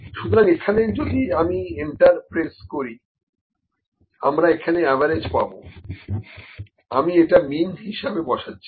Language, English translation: Bengali, So, if I put enter here, it will give me average here, I will put it put average here or I will better put mean here